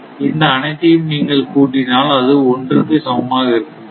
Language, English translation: Tamil, So, if you add all if you add all it will be 1 0